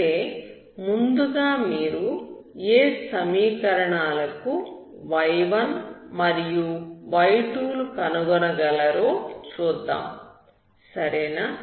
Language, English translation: Telugu, But first of all let us see for what other equations you can find y1 and y2, okay